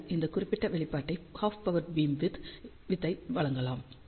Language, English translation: Tamil, So, these are the expressions for half power beamwidth